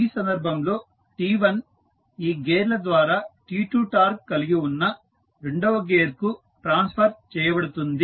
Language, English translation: Telugu, In this case t1 through these gears is transferred to the second gear that is having torque T2